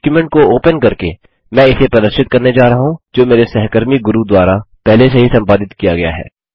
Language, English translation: Hindi, I am going to demonstrate this by opening a document, which has already been edited by my colleague Guru